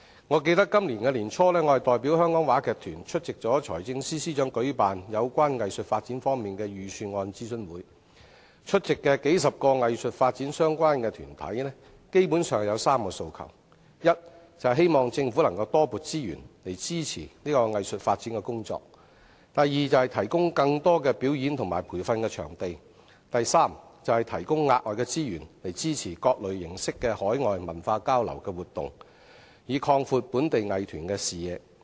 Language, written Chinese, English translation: Cantonese, 我記得我在今年年初，代表香港話劇團出席財政司司長舉辦有關藝術發展方面的財政預算案諮詢會，出席的數十個與藝術發展相關的團體基本上有3個訴求：第一，希望政府多撥資源以支持藝術發展的工作；第二，提供更多表演及培訓場地；第三，提供額外資源以支持各種形式的海外文化交流活動，以擴闊本地藝團的視野。, As I recall I represented the Hong Kong Repertory Theatre to attend the Budget consultation session concerning arts development organized by the Financial Secretary early this year and basically three requests were raised by the representatives for the few dozen organizations in relation to arts development attending the session . First it is hoped that more resources can be allocated by the Government to support arts development work . Second it is hoped that more performance and training venues can be provided